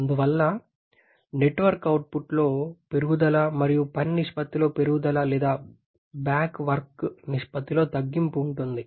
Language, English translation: Telugu, Therefore, there is an increase in the net work output and improvement in the work ratio or reduction in the back work ratio